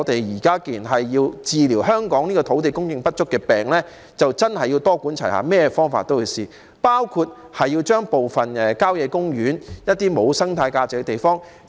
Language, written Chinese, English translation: Cantonese, 現在，要治療香港土地供應不足的病，的確要多管齊下，甚麼方法都要嘗試，包括利用部分郊野公園內一些沒有生態價值的地方。, To cure the illness of shortage of land supply in Hong Kong a multi - pronged approach must be adopted by employing all possible methods including making use of some sites with no ecological value in country parks